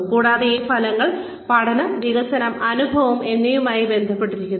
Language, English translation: Malayalam, And, these outcomes are linked with learning, development, and experience